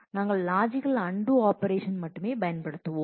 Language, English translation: Tamil, We will only use logical undo operation